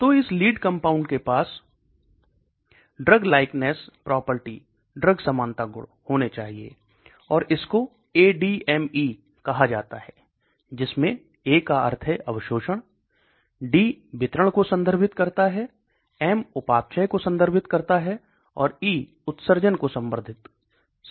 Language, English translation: Hindi, So it should have these drug likeness property and it is called ADME, that means A refers to absorption, D refers to distribution, M refers to metabolism and E refers to excretion